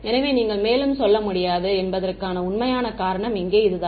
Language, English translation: Tamil, So, that is that this is the real reason why you cannot go any further over here